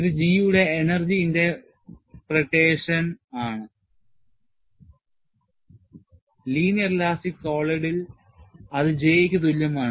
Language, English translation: Malayalam, So, this is the energy interpretation of G, which is same as J for a linear elastic solid